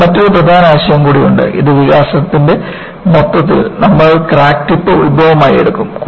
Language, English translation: Malayalam, And, you also have another important concept that, in the whole of these developments, we will take the crack tip as the origin